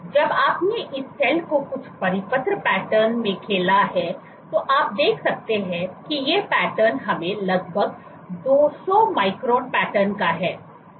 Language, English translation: Hindi, So, you played this cell some circular pattern and you can what you do is, these are patterns so let us say these are roughly 200 micron patterns